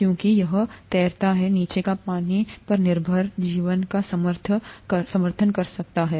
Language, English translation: Hindi, Because it floats, the water below can support life that depends on water